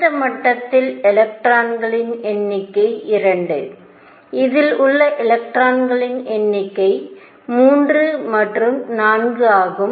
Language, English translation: Tamil, The number of electrons in this level are 2; number of electrons in this is 3 and 4